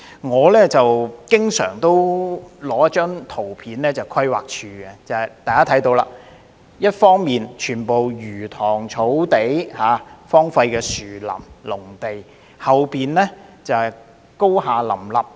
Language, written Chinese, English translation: Cantonese, 我經常展示規劃署的一張圖片，大家可以看到，全部是魚塘、草地、荒廢的樹林和農地，但後面卻高廈林立。, I often showed this photo from the Planning Department and Members can see that there are fish ponds grasslands deserted woods and agricultural land everywhere but at their back stood many tall buildings